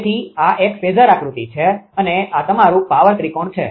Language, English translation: Gujarati, Therefore, this is a phasor diagram and this is your power triangle